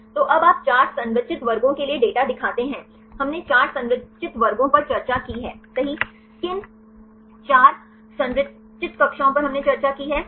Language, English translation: Hindi, So, now, you show the data for the 4 structured classes, we discussed 4 structured classes right what the 4 structured classes we discussed